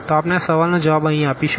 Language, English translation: Gujarati, So, we will answer these questions here